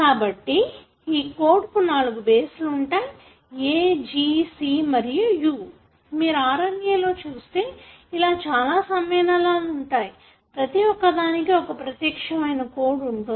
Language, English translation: Telugu, So, this is the code that the 4 bases that you have the A, G, C and U that you find in the RNA, can have as many combinations that are shown here and each one of them have certain specific code